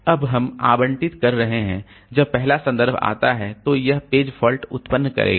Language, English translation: Hindi, Now we are allocating when the first reference comes, it will generate a page fault